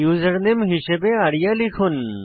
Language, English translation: Bengali, Type the username as arya